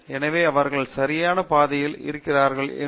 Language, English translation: Tamil, So, that helps in them whether, they are on the right track